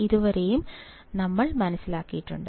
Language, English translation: Malayalam, This is what I have derived